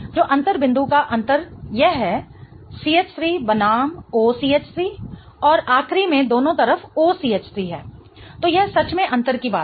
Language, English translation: Hindi, So, the difference point of difference is this, CH3 versus OCH3 and in the last one there is an OCH3 on both the sides